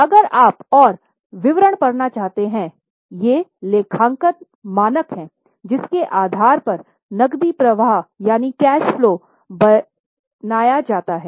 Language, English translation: Hindi, If you want to read more details, these are the accounting standards on the basis of which cash flows are made